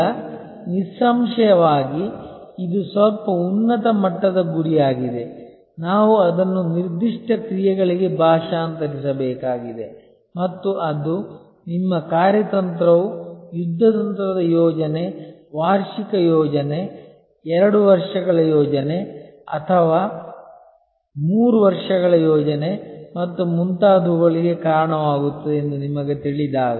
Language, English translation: Kannada, Now; obviously, this is a little higher level goal, we have to translate that into specific actions and that is when you know your strategy leads to a tactical plan, an annual plan, a 2 years plan or a 3 years plan and so on